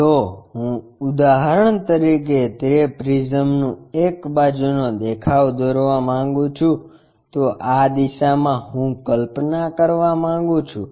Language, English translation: Gujarati, If I would like to draw a side view of that prism for example, from this direction I would like to visualize